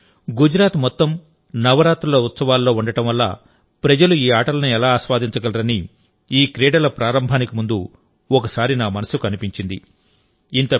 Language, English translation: Telugu, Before organizing these games, once it came to my mind that at this time the whole of Gujarat is involved in these festivals, so how will people be able to enjoy these games